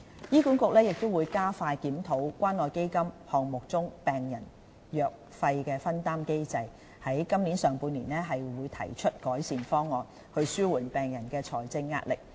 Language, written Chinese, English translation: Cantonese, 醫管局亦會加快檢討關愛基金項目中病人藥費分擔機制，於今年上半年提出改善方案，以紓緩病人的財政壓力。, HA will also expedite the review of the patients co - payment mechanism under CCF with improvement measures to be proposed in the first half of this year to alleviate the financial burden on patients